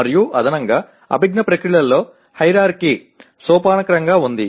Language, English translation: Telugu, And in addition there is hierarchy among cognitive processes